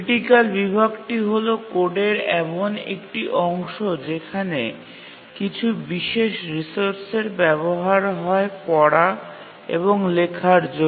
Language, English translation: Bengali, So a critical section is a section of the code in which some non preemptible resource is accessed that is read and written